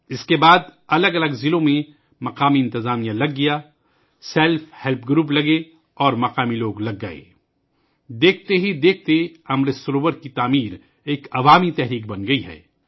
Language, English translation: Urdu, After that, the local administration got active in different districts, voluntary organizations came together and local people connected… and Lo & behold, the construction of Amrit Sarovars has become a mass movement